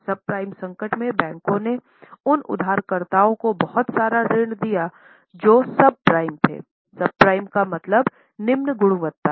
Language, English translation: Hindi, In subprime crisis, bankers gave lot of loans to those borrowers which were subprime